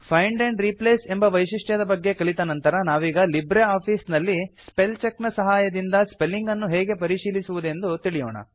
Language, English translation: Kannada, After learning about Find and Replace feature, we will now learn about how to check spellings in LibreOffice Writer using Spellcheck